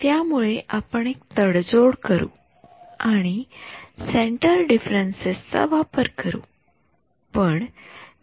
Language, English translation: Marathi, So, the compromise that we do is this use centre differences